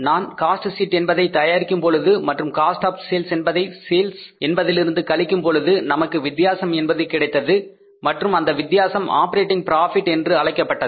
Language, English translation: Tamil, When we prepared the cost sheet and when we subtracted the cost of sales from the sales, we were left with the difference and that difference is called as the operating profit